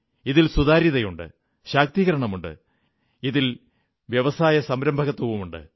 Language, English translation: Malayalam, This has transparency, this has empowerment, this has entrepreneurship too